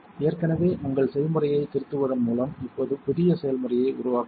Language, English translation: Tamil, We will now create a new recipe by editing an existing recipe